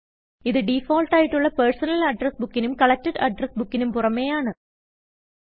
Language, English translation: Malayalam, This is in addition to the two default books, that is, Personal Address Book and Collected Addresses